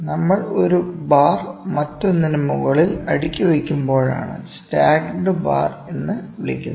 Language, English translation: Malayalam, Stacked bar is when we are stacking 1 bar over other, when we are stacking like this, ok